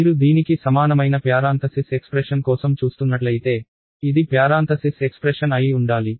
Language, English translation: Telugu, So, if you are looking for a parentheses expression which is equivalent to this, this should be the parentheses expression